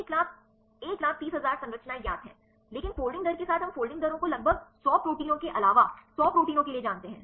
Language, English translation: Hindi, One lakh one lakh thirty thousand structures are known, but with the folding rates we know the folding rates only for about hundred proteins hundred plus proteins